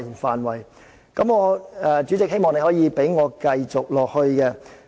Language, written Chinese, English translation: Cantonese, 希望主席可以讓我繼續發言。, I hope that the President will allow me to continue with my speech